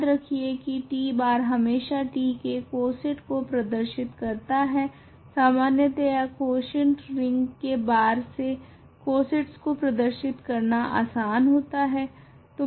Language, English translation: Hindi, Remember t bar is the t bar always represents the coset corresponding to t, in general bar is a convenient notation to denote cosets in a quotient ring